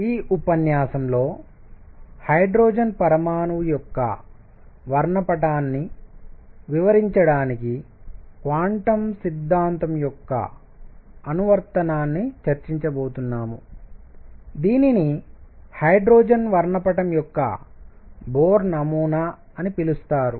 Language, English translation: Telugu, In this lecture, we are now going to discuss application of quantum theory to explain the spectrum of hydrogen atom what is known as Bohr model of hydrogen spectrum